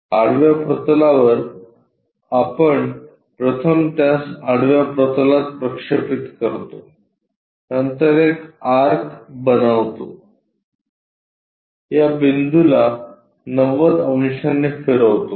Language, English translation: Marathi, On horizontal plane we first project it into horizontal plane, then make an arc rotate this point by 90 degrees